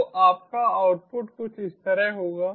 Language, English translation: Hindi, so your output will be something like this